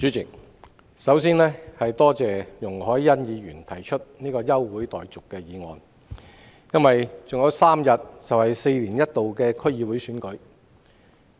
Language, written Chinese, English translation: Cantonese, 主席，我首先多謝容海恩議員提出這項休會待續議案，因為還有3天便舉行4年一度的區議會選舉。, President first of all I would like to thank Ms YUNG Hoi - yan for moving this adjournment motion because the District Council DC Election held once every four years will be held three days later